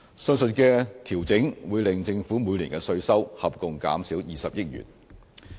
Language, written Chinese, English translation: Cantonese, 上述的調整會令政府每年的稅收合共減少20億元。, The aforementioned adjustments will together reduce tax revenue by 2 billion per annum